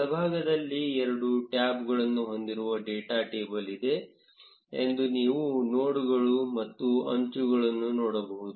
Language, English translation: Kannada, On right, you can see that there is a data table, which has two tabs nodes and edges